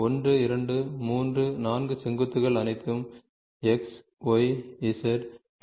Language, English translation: Tamil, So, vertices 1, 2, 3, 4 what are all the X, Y , Z